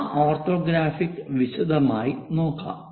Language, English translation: Malayalam, Let us look look at those orthographics in detail